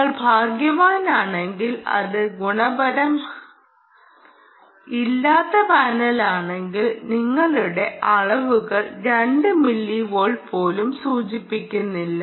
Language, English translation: Malayalam, and if it is a poor, good quality ah panel, our measurements dont even indicate that you will get two milliwatt